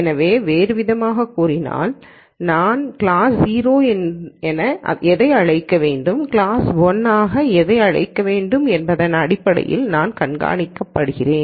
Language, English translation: Tamil, So, in other words I am being supervised in terms of what I should call as class 0 and what I should call as class 1